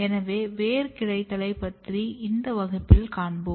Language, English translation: Tamil, So, we will cover this root branching in this lecture